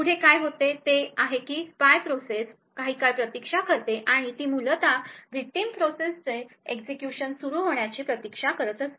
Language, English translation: Marathi, Next what happens is that the spy process waits for some time, the next what happens is that the spy process waits for some time and is essentially waiting for the victim process to begin execution